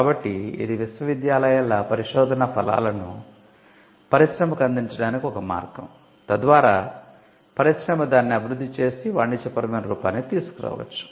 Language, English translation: Telugu, So, this was a way in which the universities research was presented or pushed to the university and industry, so that the industry could take it develop it and commercialize it